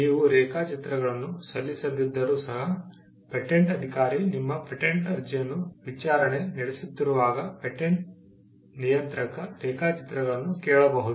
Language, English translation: Kannada, Even if you do not file the drawings, the patent controller can ask for drawings, when the patent officer is prosecuting your patent application